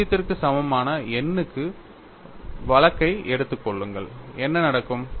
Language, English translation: Tamil, Suppose, you take the case for n equal to 0, what happens